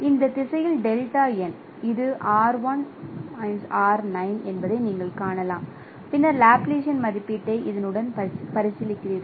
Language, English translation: Tamil, You can see it is R1 minus R9 and then you are also considering the Laplacian estimate along this